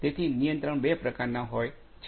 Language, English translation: Gujarati, So, there are two types of control